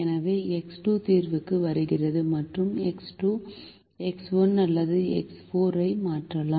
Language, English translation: Tamil, so x two comes into the solution and x two can replace either x one or x four